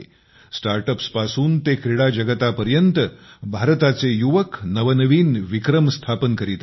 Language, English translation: Marathi, From StartUps to the Sports World, the youth of India are making new records